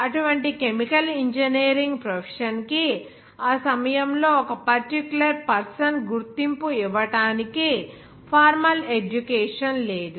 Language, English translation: Telugu, But there was no formal education for such chemical engineering profession to given to a particular person recognition at that time